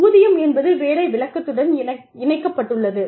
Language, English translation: Tamil, The pay is tied, to the job description